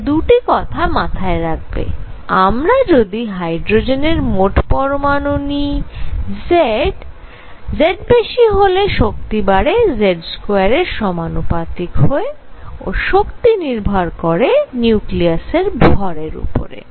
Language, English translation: Bengali, So, so keep this in mind that 2 things if we have hydrogen like ions where Z is higher energy goes up as Z square and energy also depends on the nucleus mass